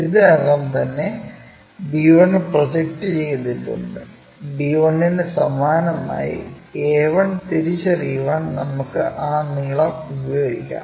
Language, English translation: Malayalam, So, already we have projected from b 1, on that we use that length to identify b 1 similarly a 1